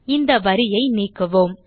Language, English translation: Tamil, Let us remove this line